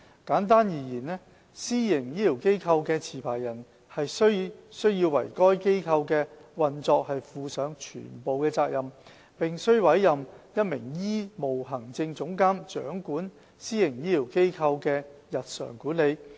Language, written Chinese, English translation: Cantonese, 簡單而言，私營醫療機構的持牌人須為該機構的運作負上全部責任，並須委任一名醫務行政總監掌管私營醫療機構的日常管理。, In short the licensee of a PHF is wholly responsible for the operation of the facility and the licensee must appoint a chief medical executive to take charge of the day - to - day administration of the PHF